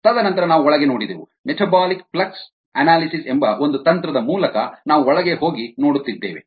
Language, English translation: Kannada, we spent a lot of time looking inside through one technique called metabolic flex analysis and we saw how it could